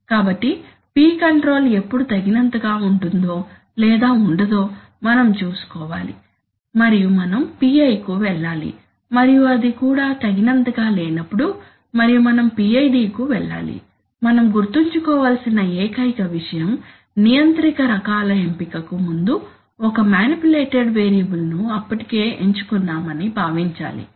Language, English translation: Telugu, So we want to see that when is P control good enough, when it is not good enough and we must go for PI and when that is also not good enough and we must go for PID, only thing we must remember that before doing the selection of controller types it is assumed that we have already selected which one is the manipulated variable